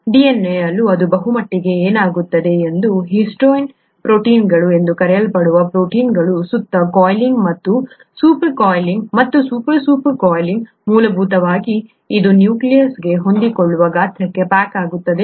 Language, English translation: Kannada, That’s pretty much what happens with DNA too and the coiling and super coiling and super super super coiling around proteins which are called histone proteins, essentially results in it being packaged into a size that can fit into the nucleus